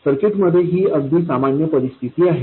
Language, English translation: Marathi, And this is a very common situation in circuits